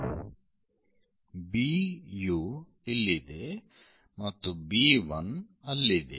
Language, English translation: Kannada, This is A 1; A 1 and B 1 is this